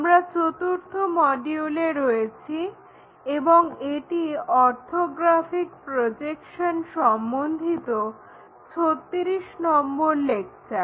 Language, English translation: Bengali, We are in module number 4 and lecture number 36 on Orthographic Projections